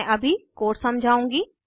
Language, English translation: Hindi, Let us go through the code